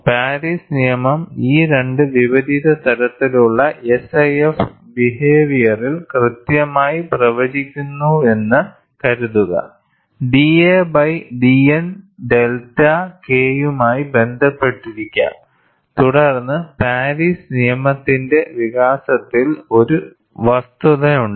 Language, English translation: Malayalam, Suppose, Paris law correctly predicts, in these two opposing type of SIF behavior, that d a by d N could be related to delta K, then there is substance in the development of Paris law